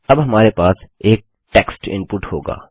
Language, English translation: Hindi, Now we will have a text input